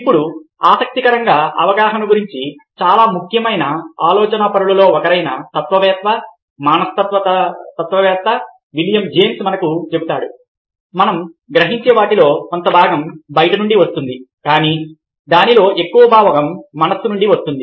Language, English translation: Telugu, now, interestingly, one of the very significant thinkers about perception, philosopher, psychologist, William james, tells us that part of what we perceive comes from outside, but the major part of it comes from within the mind